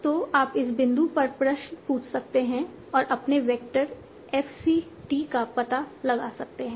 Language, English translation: Hindi, So you can ask the questions at this point and find out your vector F C T